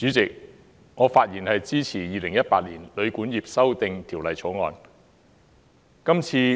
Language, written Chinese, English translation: Cantonese, 主席，我發言支持《2018年旅館業條例草案》。, President I speak in support of the Hotel and Guesthouse Accommodation Amendment Bill 2018 the Bill